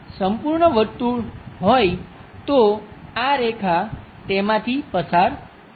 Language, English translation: Gujarati, If this is the complete circle, this line pass through that